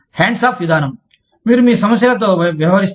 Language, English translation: Telugu, Hands off approach is, you deal with your problems